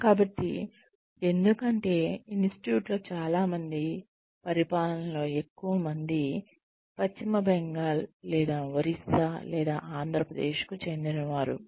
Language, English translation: Telugu, So, why because, most people here in the institute, most people in the administration, belong to, either West Bengal, or Orissa, or Andhra Pradesh